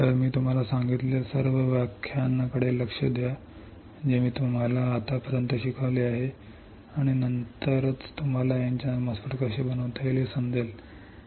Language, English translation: Marathi, So, look at all the lectures that I had told I have taught you until now, and then and then only you will be able to understand how the N channel MOSFET can be fabricated